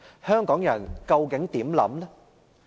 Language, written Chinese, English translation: Cantonese, 香港人究竟有何想法？, What do Hong Kong people think about it?